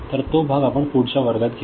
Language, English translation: Marathi, So, that part we shall take up in next class